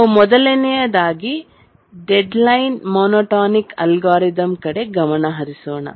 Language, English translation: Kannada, But what is the main idea behind the deadline monotonic algorithm